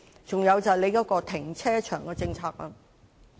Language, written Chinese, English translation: Cantonese, 此外，就是政府的停車場政策。, Then we come to the car parking policy of the Government